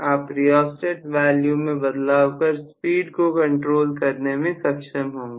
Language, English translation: Hindi, You can vary the rheostat value, that will be able to control the speed